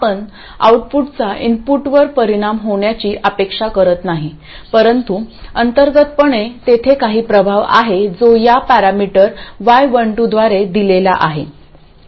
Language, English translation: Marathi, We don't expect the output to affect the input but internally there is some effect that is given by this parameter Y1 2